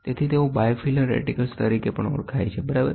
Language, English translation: Gujarati, So, they are also known as bifilar reticles, ok